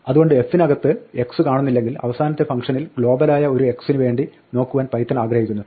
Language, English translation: Malayalam, So if x is not found in f, Python is willing to look at the enclosing function for a global x